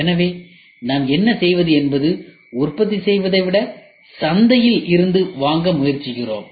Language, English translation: Tamil, So, then what we do is rather than in house manufacturing we try to buy it from the market